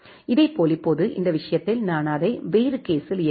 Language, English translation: Tamil, Similarly now in this case if I run it in a different case